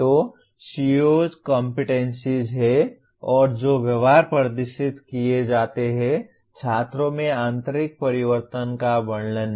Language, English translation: Hindi, So COs are competencies and the behaviors that can be demonstrated; not descriptions of internal changes in the students